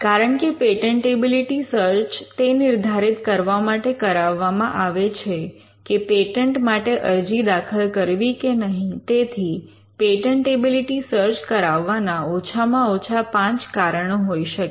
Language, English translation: Gujarati, Since a patentability search is undertaken to determine whether to file a patent or not, there could be at least 5 reasons why you should order a patentability search